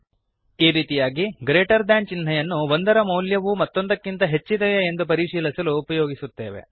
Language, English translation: Kannada, This way, the greater than symbol is used to check if one value is greater than the other